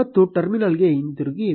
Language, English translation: Kannada, And go back to the terminal